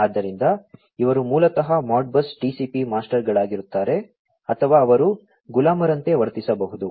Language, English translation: Kannada, So, these basically would be the Modbus TCP masters or they can even act as the slaves